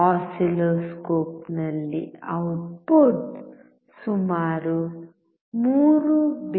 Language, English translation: Kannada, In the oscilloscope, output is about 3